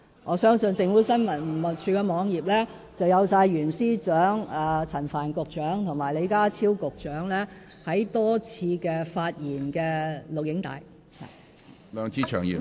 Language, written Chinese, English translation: Cantonese, 我相信政府新聞處的網頁載有袁司長、陳帆局長及李家超局長多次發言的錄影帶。, The video recordings of the speeches of Secretary for Justice Rimsky YUEN Secretary Frank CHAN and Secretary John LEE can all be found in the website of the Department